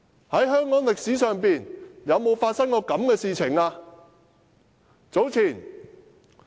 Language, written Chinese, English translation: Cantonese, 在香港歷史上，有沒有發生過這種事？, And has any case like this one ever been recorded in the history of Hong Kong?